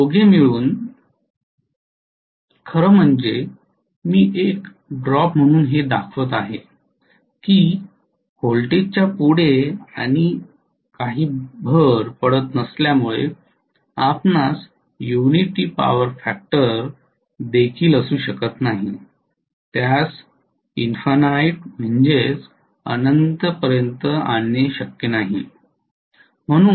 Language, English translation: Marathi, These two together actually make up for I am showing that as a drop because what can I ask just now, I am showing that as a drop because you cannot have even at a unity power factor whatever further and further addition of voltage, it is not possible to bring it over to infinity